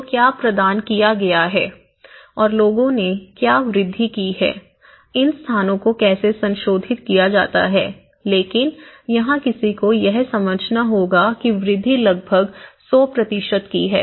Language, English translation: Hindi, So, what it has been provided and what the people have made incrementally, how they are modified these places but here one has to understand it is like the incrementality is almost like 100 percent of increase